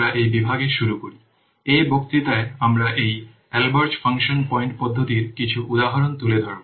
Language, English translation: Bengali, Now let's start in this section, in this lecture we will take up some of the examples for this Albreast function point methods